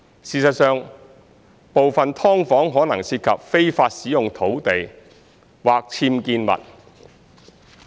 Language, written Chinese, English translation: Cantonese, 事實上，部分"劏房"可能涉及非法使用土地或僭建物。, In fact some subdivided units may involve illegal land use or unauthorized building structures